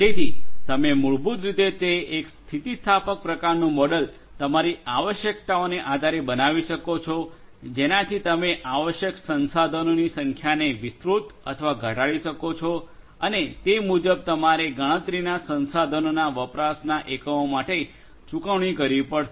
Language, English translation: Gujarati, So, you can basically it’s an elastic kind of model you know based on your requirements you can expand or decrease the amount of resources that would be required and accordingly you are going to be you will have to pay for units of usage of the computational resources